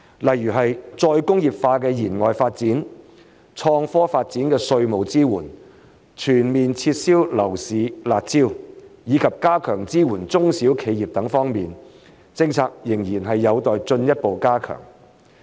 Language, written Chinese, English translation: Cantonese, 例如再工業化的延外發展、創科發展的稅務支援、全面撤銷樓市"辣招"，以及加強支援中小企業等方面，政策仍然有待進一步加強。, For example there is still room for further strengthening of policy in such areas as outward development of re - industrialization tax support for the development of innovation and technology withdrawal of all the harsh measures imposed on the property market and enhancement of support for small and medium enterprises SMEs